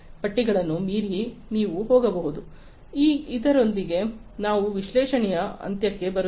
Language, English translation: Kannada, So, with this we come to an end of analytics